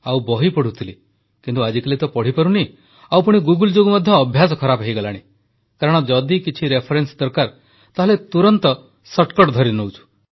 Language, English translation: Odia, But these days I am unable to read and due to Google, the habit of reading has deteriorated because if you want to seek a reference, then you immediately find a shortcut